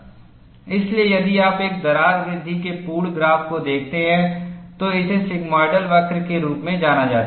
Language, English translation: Hindi, So, if you look at the complete graph of a crack growth, this is known as a sigmoidal curve